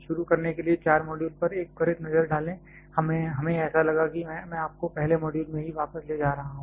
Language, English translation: Hindi, To start with just a quick look back at the 4 modules that; we had like a I am taking you back to the first module itself